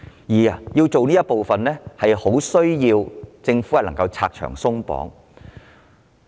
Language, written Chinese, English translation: Cantonese, 要達到此目的，政府需要拆牆鬆綁。, To this end the Government must remove the obstacles and relax certain restrictions